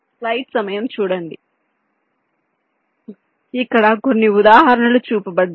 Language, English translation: Telugu, so here some example is shown